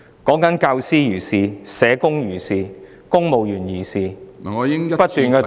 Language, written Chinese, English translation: Cantonese, 不論是教師、社工或是公務員，都不斷遭到打壓......, Teachers social workers and civil servants alike are suppressed continuously